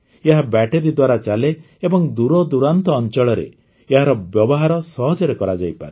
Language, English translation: Odia, It runs on battery and can be used easily in remote areas